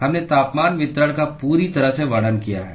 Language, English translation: Hindi, We have completely described the temperature distribution